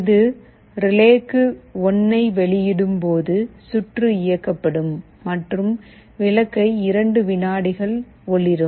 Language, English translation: Tamil, When it outputs 1 to relay, the circuit will be switched ON and the bulb will glow for 2 seconds